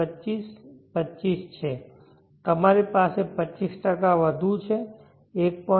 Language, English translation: Gujarati, 25, 25 in five years you have 25% more, 1